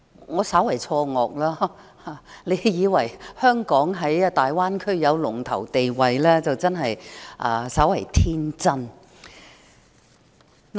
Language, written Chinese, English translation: Cantonese, 我稍為錯愕，若有人以為香港在大灣區有龍頭地位，真是稍為天真。, I am quite surprised . If someone thinks think that Hong Kong has a leading position in the Greater Bay Area he is really too naive